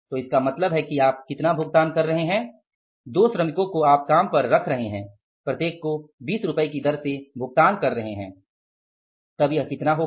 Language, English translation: Hindi, So it means you are paying how much you are paying two workers you are putting on the job at the rate of 20 each you are paying so this comes out as how much rupees 40